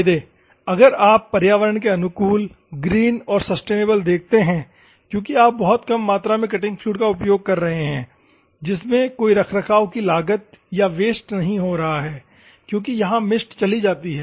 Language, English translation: Hindi, The advantages, if you see environmentally friendly and green sustainable because you are using very minute quantities of cutting fluid, no maintenance cost or the waste because here mist goes off